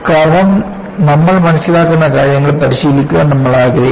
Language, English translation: Malayalam, Because we would like to practice, what we understand